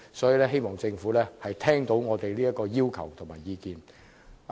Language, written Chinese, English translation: Cantonese, 因此，我希望政府能聽取我們的要求和意見。, Therefore I hope the Government can pay heed to our demands and views